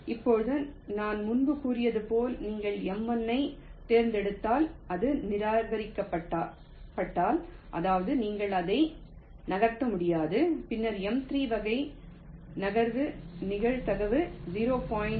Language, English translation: Tamil, now, as i said earlier that if you select m one and if it is rejected that means you cannot move it, then a move of type m three is done with probability point one, ten percent probability